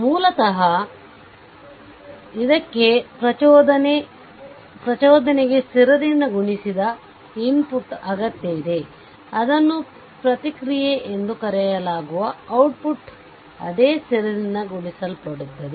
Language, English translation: Kannada, So, basically it requires that if the input that is called the excitation is multiplied by the constant, then the output it is called the response is multiplied by the same constant